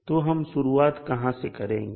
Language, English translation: Hindi, So, that would be our starting point